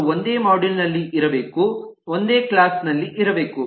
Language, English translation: Kannada, they should have been in the same module, should have been in the same class